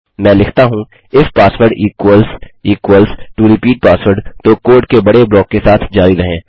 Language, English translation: Hindi, Let me say if password equals equals to repeat password then continue the big block of code